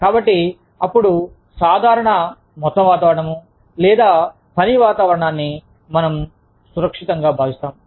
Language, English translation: Telugu, So, a general overall environment, or working environment, in which, we feel safe